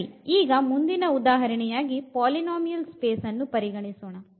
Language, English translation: Kannada, Well, so, now going to the next example here we will consider the polynomial space